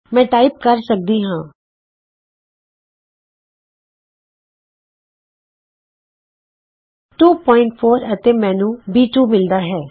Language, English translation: Punjabi, I can type in 2,4 and I get b 2